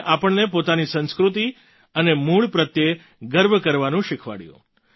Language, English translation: Gujarati, He taught us to be proud of our culture and roots